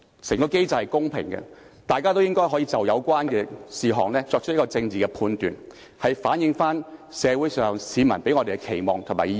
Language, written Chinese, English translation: Cantonese, 整個機制是公平的，大家也可以就有關事項作出政治判斷，反映市民對我們的期望和意見。, The entire mechanism is fair . Members may make political judgments on the relevant case to reflect the publics expectations on us as well as public opinion